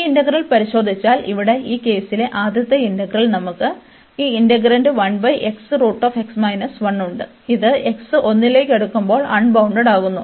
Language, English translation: Malayalam, If we take a look at this integral, here the first integral in this case, we have this integrand 1 over x square root x minus 1, which is getting unbounded, when x is approaching to 1